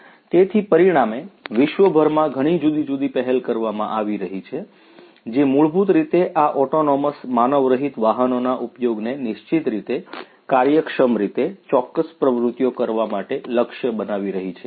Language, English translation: Gujarati, So, consequently there are so, many different initiatives happening worldwide, which are basically targeting the use of these autonomous unmanned vehicles to conduct, to carry on certain activities in an efficient manner